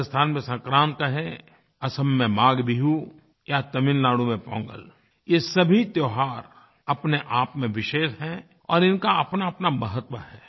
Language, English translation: Hindi, In Rajasthan, it is called Sankrant, Maghbihu in Assam and Pongal in Tamil Nadu all these festivals are special in their own right and they have their own importance